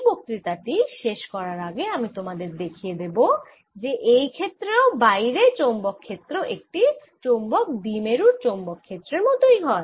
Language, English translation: Bengali, let me, before i finish this lecture, show you that outside field is really a magnetic dipole field